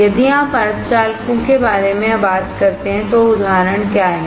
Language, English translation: Hindi, So, if you talk about the semiconductors, what are examples